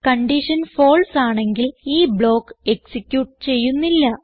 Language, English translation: Malayalam, If the condition is false, the block is skipped and it is not executed